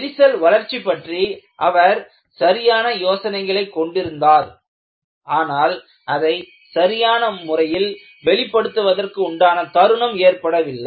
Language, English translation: Tamil, He had right ideas for crack growth, but he was not able to express it in a convenient fashion